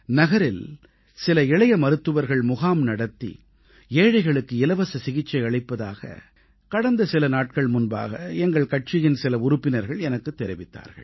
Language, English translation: Tamil, Recently, I was told by some of our party workers that a few young doctors in the town set up camps offering free treatment for the underprivileged